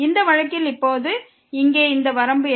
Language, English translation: Tamil, And in this case what is this limit here now